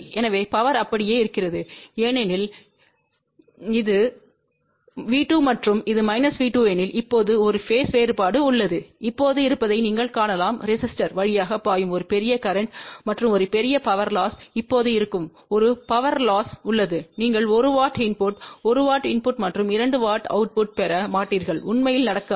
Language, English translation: Tamil, So, power remains same but because now there is a phase differenceif this is V 2 and this is minus V 2, you can now see that there will be a large current flowing through the resistor and there will be a huge power loss and when there is a power loss you won't get 1 watt input 1 watt input and 2 watt output over here it won't really happen ok